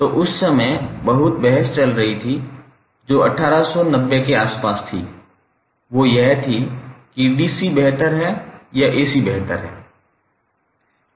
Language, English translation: Hindi, So, at that time, a lot of debates were going on that was around 1890 period that which is superior whether DC is superior or AC is superior